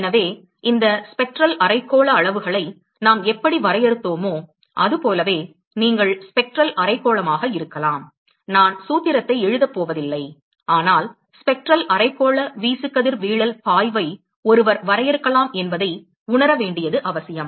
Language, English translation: Tamil, So, similarly one could define, just like how we defined these Spectral hemispherical quantities, you can have Spectral hemispherical, I am not going to write the formula, but it is just important to realize that, one could define a Spectral hemispherical irradiation flux